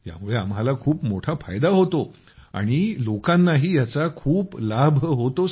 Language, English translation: Marathi, It is of great benefit to me and other people are also benefited by it